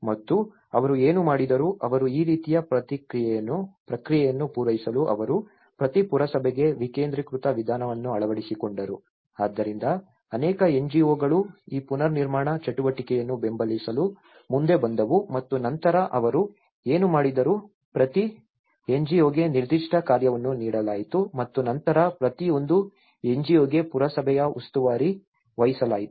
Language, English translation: Kannada, And what they did was, they, in order to meet this kind of process they adopted a decentralized approach so for each of the municipality, so the many NGOs came forward to support for this reconstruction activity and then what they did was at least they have given each NGO a particular task and then each one NGO was assigned in charge of the municipality